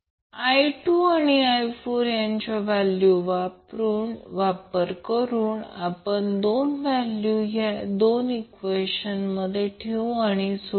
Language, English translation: Marathi, So using I 2 value and the value of I 4, we can put these 2 values in these 2 equations and simplify